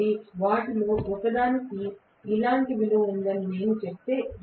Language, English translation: Telugu, So, if I say that one of them is having a value like this